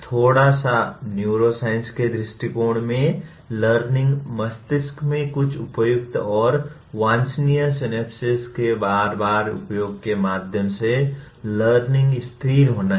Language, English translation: Hindi, A little bit of neuroscience point of view, learning is stabilizing through repeated use certain appropriate and desirable synapses in the brain